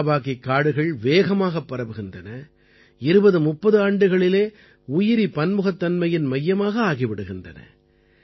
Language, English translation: Tamil, Miyawaki forests spread rapidly and become biodiversity spots in two to three decades